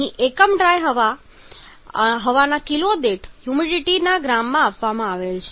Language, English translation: Gujarati, It is given the unit is given here in gram of moisture per kg of dry air